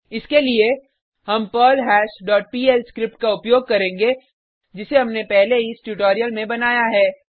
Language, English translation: Hindi, For this, well use perlHash dot pl script, which we have created earlier in this tutorial